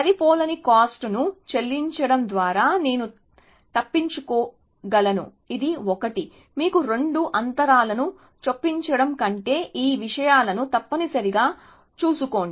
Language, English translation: Telugu, Then I could get away by paying a cost of mismatch, which is 1, rather than insert two gaps to you know, take care of those things essentially